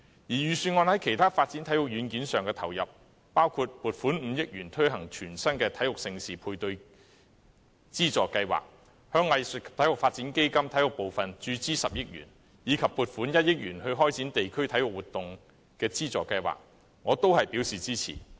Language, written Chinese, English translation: Cantonese, 預算案在其他發展體育軟件上的投入，包括撥款5億元推行全新的體育盛事配對資助計劃、向藝術及體育發展基金注資10億元，以及撥款1億元開展地區體育活動資助計劃，我均表示支持。, I extend my support for the input made by the Budget into the development of other sports software including the allocation of 500 million for the introduction of a new Major Sports Events Matching Grant Scheme the injection of 1 billion into the sports portion of the Arts and Sport Development Fund and the allocation of 100 million for the launch of the District Sports Programmes Funding Scheme